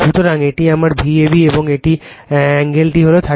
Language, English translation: Bengali, So, this is my V a b and this angle is , 30 degree right